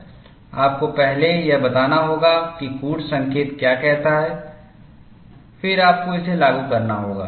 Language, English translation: Hindi, You have to first digest what the codes say, then, you will have to get it implemented